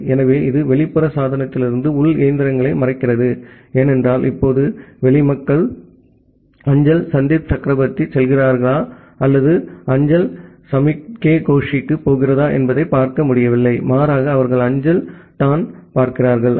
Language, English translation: Tamil, So, this also hide the internal machines from the external device because the external people now, they are not able to see whether the mail is going to Sandip Chakraborty or the mail is going to Soumukh K Gosh rather they are just seeing that the mail is going to IIT Kharagpur